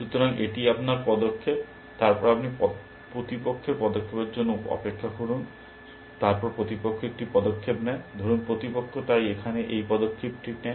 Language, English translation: Bengali, So, this is your move; then you wait for opponent move, so opponent makes a move, let say opponent makes this move, so here